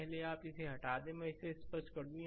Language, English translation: Hindi, First you remove it so, let me clear it